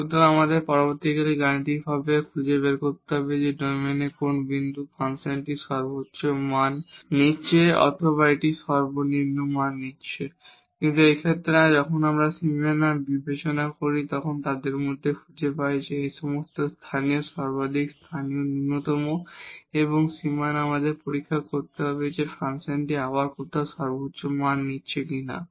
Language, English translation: Bengali, So, we have to later on mathematically find out what is the where what is the point in the domain where the function is taking the maximum value or it is taking the minimum value so, but in this case when we consider the boundaries and find among all these local maximum local minimum and also at the boundaries we have to check whether the function is taking somewhere again the maximum value